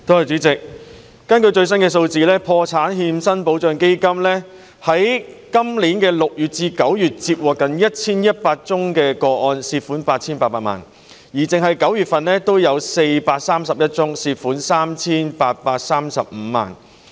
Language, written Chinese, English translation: Cantonese, 主席，根據最新數字，破產欠薪保障基金在今年6月至9月接獲近1100宗個案，涉及的款項達 8,800 萬元，單是9月就有431宗，涉及 3,835 萬元。, President according to the latest figures the Protection of Wages on Insolvency Fund the Fund has received nearly 1 100 applications for ex gratia payments from June to September this year involving a total amount of 88 million . In September alone there are already 431 applications involving 38.35 million